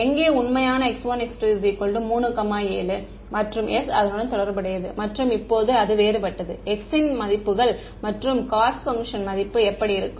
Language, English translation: Tamil, For where the true x 1 x 2 is 3 comma 7 and s is corresponding to that and now different different values of x and U what does the value of the cost function look like